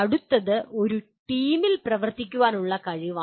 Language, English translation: Malayalam, And next one is ability to work in a team